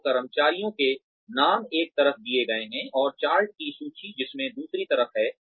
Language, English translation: Hindi, So, the names of the employees are given on one side, and the chart containing the list of traits is on the other side